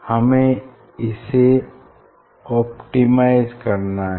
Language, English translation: Hindi, one has to be optimize